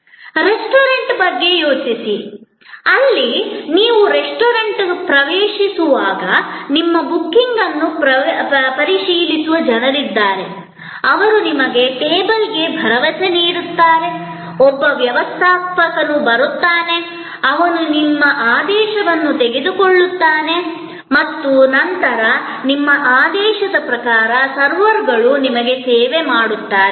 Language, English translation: Kannada, Think of a restaurant, so as you enter the restaurant, there will be people who will check your booking, they will assure you to the table, a steward will come, who will take your order and then, the servers will bring your food to your table according to your order